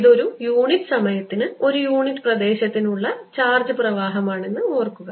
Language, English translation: Malayalam, keep in mind that this is energy flow per unit area, per unit time